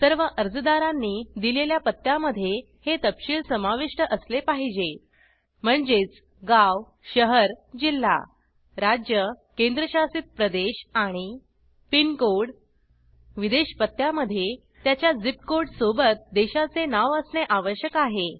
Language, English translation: Marathi, The address given by all the applicants should include these details Town/City/District, State/Union Territory, and PINCODE Foreign addresses must contain Country Name along with its ZIP Code